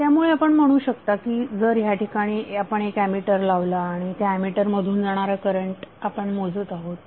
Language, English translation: Marathi, So you can say that if you added one ammeter here and you are measuring the value of current through this ammeter